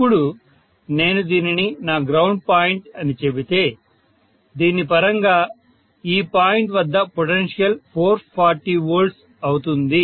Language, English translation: Telugu, Now if I say that is this is my ground point with respect to this the potential at this point will be 440 V clearly, right